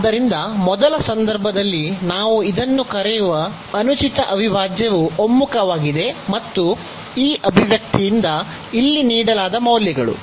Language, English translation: Kannada, So, in the first case this improper integral we call it is convergent and the values given by this expression here